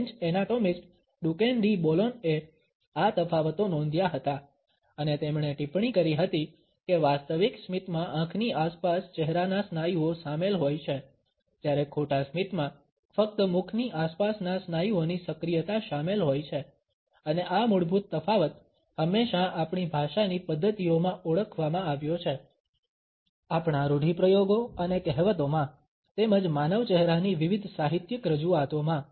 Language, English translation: Gujarati, French anatomist, Duchenne de Boulogne had noted these differences and he has remarked that genuine smiles involve facial musculature around the eyes, whereas false smiles just involves the activation of the muscles around the mouth and this basic difference has always been identified in our language practices, in our idioms and proverbs, as well as in different literary representations of human face